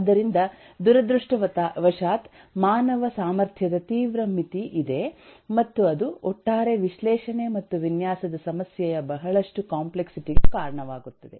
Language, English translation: Kannada, so unfortunately there’s a severe limitation of the human capacity and that leads to a lot of complexity of the overall analysis and design problem